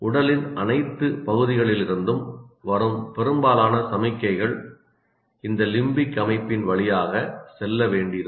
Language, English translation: Tamil, See, most of the signals will have to, from the body or from every other point, it will have to go through this limbic system